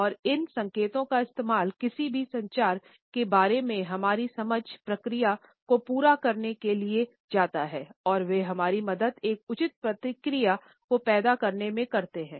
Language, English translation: Hindi, And these indications used to complete our understanding of any communication process and they also helped us in generating a proper feedback